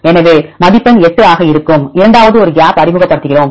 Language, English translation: Tamil, So, score will be 8 and the second one we introduce a gap